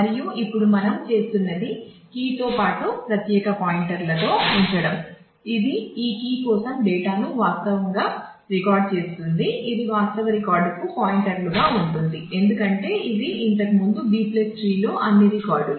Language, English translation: Telugu, And, now what we are doing is we are putting in separate pointers along with the key which will actually maintain the data for that key which will be pointers to the actual record, because this earlier in B + tree all records